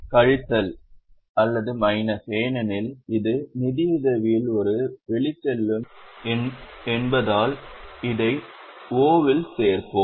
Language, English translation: Tamil, Minus because it is an outflow in financing, we will add it in O